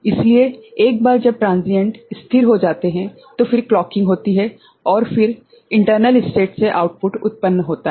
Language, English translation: Hindi, So, once the transients stabilize then the clocking happens and then the output is generated from the internal states